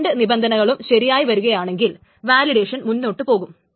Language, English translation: Malayalam, If either of these conditions is true, then the validation passes